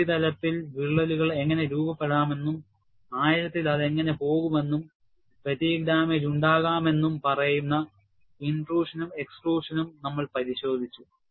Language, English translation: Malayalam, Then, we also looked at, intrusion and extrusion, which says how cracks can form on the surface and go deeper and fatigue damage can result